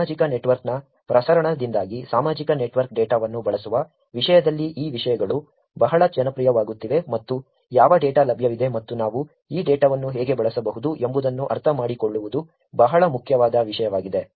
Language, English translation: Kannada, These are the topics are becoming very, very popular in terms of using social network data because of the proliferation of the social network and understanding what data is available and how we can use this data is becoming a very important topic